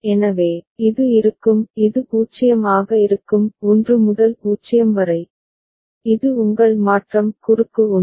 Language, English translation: Tamil, So, this will be; this will be 0; 1 to 0, this is your transition cross 1